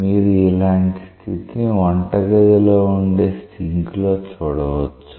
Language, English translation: Telugu, So, this kind of a situation you get in a kitchen sink